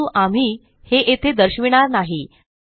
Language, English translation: Marathi, But we will not demonstrate it here